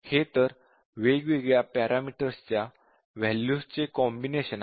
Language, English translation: Marathi, So, that is the combinations; the combinations of the values for different parameters